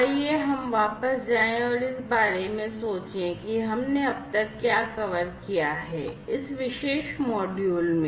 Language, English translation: Hindi, So, let us go back and think about what we have covered so, far in this particular module